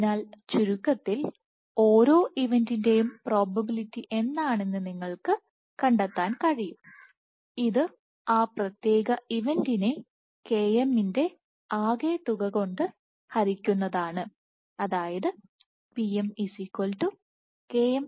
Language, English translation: Malayalam, So, in essence you can find out what is the probability of each event, this is going to be that particular event by summation of km, m equal to 1 to 2n+j